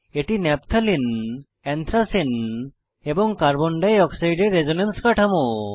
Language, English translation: Bengali, These are the resonance structures of Naphthalene, Anthracene and Carbon dioxide